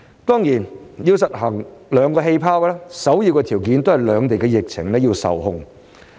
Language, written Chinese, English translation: Cantonese, 當然，要實行上述兩個"氣泡"，首要條件也是兩地疫情受控。, Of course in order to implement the two aforesaid bubbles an important prerequisite is to keep the epidemic situation of the two places under control